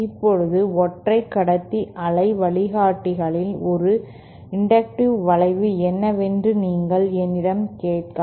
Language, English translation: Tamil, Now, in single conductor waveguides, you might ask me what is an inductive effect